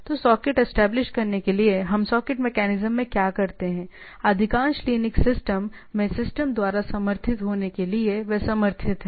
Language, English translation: Hindi, So, in order to establish a socket; so, what we do I the socket the socket mechanism to be supported by the system in most of the Linux system, they are supported